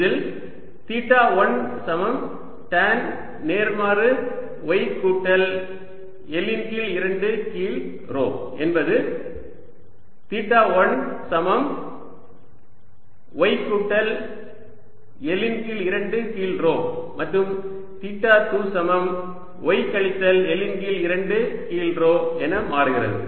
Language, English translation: Tamil, in that case theta one which was equal to tan inverse, y plus l by two over rho become tan theta one equals y plus l by two over rho and tan theta two becomes y minus l by two over rho